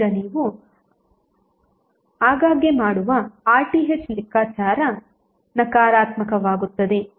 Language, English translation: Kannada, Now it often occurs that the RTh which you calculate will become negative